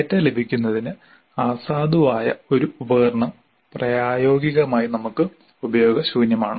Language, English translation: Malayalam, An invalid instrument is practically useless for us in terms of getting the data